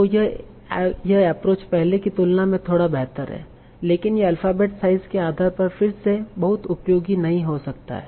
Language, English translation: Hindi, So this is an approach slightly better than before, but it may not be very, very efficient again, depending on the alphabet size